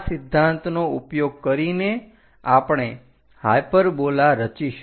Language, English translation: Gujarati, Using this principle, we are going to construct a hyperbola